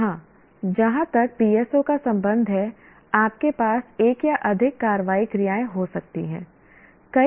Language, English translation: Hindi, Here as far as PSOs are concerned, you can have one or more action verbs